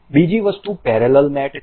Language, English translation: Gujarati, Another thing is parallel mate